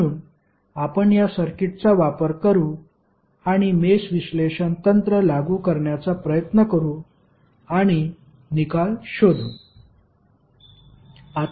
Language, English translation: Marathi, So, we will use this circuit and try to apply the mesh analysis technique and find out the result